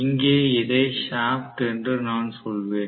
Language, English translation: Tamil, I am going to have the shaft here